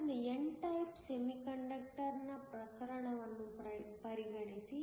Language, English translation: Kannada, So, consider the case of an n type semiconductor